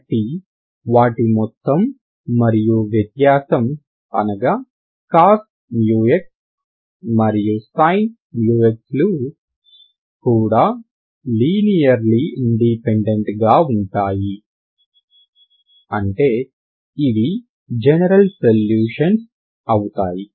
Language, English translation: Telugu, So if you sum and difference are nothing but cos Mu x and sin Mu x they are also linearly independent implies this is the general solutions